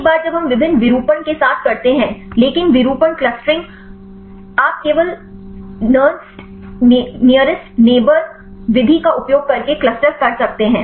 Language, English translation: Hindi, Once we do with the different conformation, but the conformation clustering; you can cluster only using nearest neighbour method